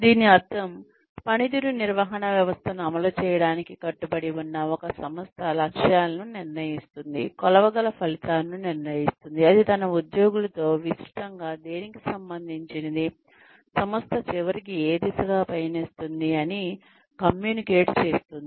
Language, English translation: Telugu, This means, that an organization, that is committed to implementing a performance management system, decides on targets, decides on objectives, decides on the measurable outcomes, that it communicates to its employees, that are related to the wider, that are related to what the organization ultimately is heading towards